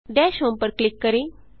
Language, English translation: Hindi, Click on Dash home